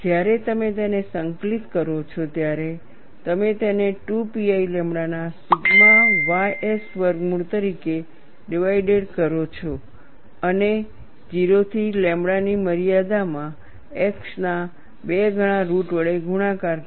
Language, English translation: Gujarati, When you integrate this, you get this as sigma ys square root of 2 pi lambda divided by square root of 2 pi, multiplied by 2 times root of x in the limits 0 to lambda